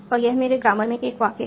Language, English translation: Hindi, And this is a sentence in my grammar